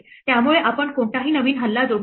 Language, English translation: Marathi, So, we did not add any new attack